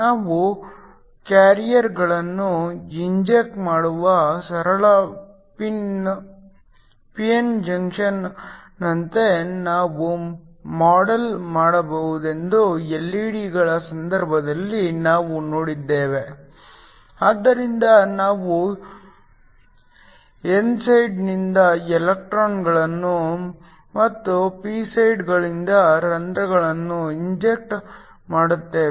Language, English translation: Kannada, The case of LED’s we saw that we could model them as a simple p n junction where we inject carriers, so we inject electrons from the n side and holes from the p sides so that these electrons and holes recombine in order to give you light